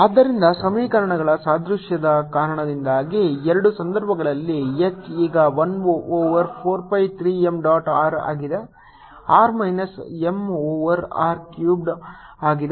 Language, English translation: Kannada, so i can write: so we know b is equal to mu zero by four pi three m dot r r minus m by r cube